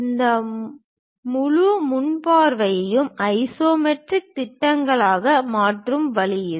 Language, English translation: Tamil, This is the way we transform that entire front view into isometric projections